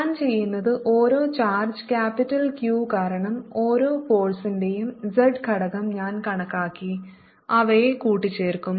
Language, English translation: Malayalam, what ill do is i'll calculate the z component of each force due to each charge, capital q, and add them up